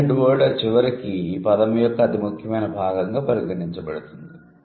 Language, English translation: Telugu, So, this head word would eventually be considered as the most important part of the word